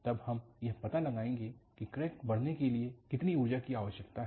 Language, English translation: Hindi, From, then on, we will find out, what is energy for require for the crack to grow